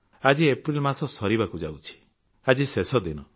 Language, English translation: Odia, Today is the last day of month of April